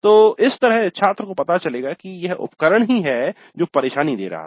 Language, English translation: Hindi, So that's how the student would come to know that the equipment was the one which was giving the trouble